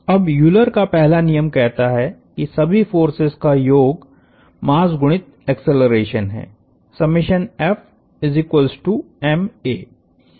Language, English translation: Hindi, Now, the first law, the first Euler’s law says sum of all forces is mass times acceleration